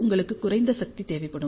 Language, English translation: Tamil, So, you require low power